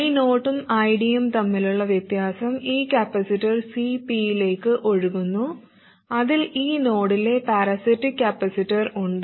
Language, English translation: Malayalam, The difference between I 0 and I D flows into this capacitor CP which consists of the parasitic capacitance at this node